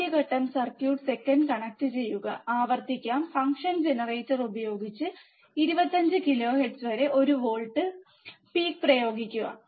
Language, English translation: Malayalam, First step let us repeat connect the circuit second apply one volt peak to peak at 25 kilohertz using functions generator